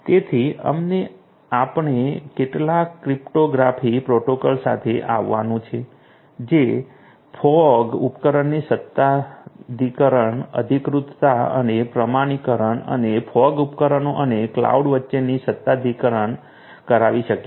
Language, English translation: Gujarati, So, plus you know we have to come up with some cryptographic protocols that are going to do authentication, authorization and communication of authentication of the fog devices and authentication between the fog devices and the cloud